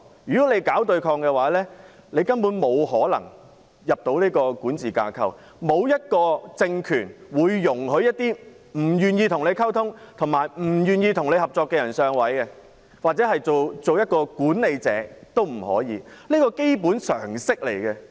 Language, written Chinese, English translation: Cantonese, 如果搞對抗的話，根本沒可能加入管治架構，因為沒有一個政權會容許一些不願意與其溝通和合作的人"上位"，甚或是擔任管理者，這是基本的常識。, If they provoke opposition they cannot join the administration framework for no ruling regime would allow people who are unwilling to communicate and cooperate to assume leading or administrative roles . It is just common sense